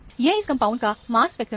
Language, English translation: Hindi, This is a mass spectrum of the compound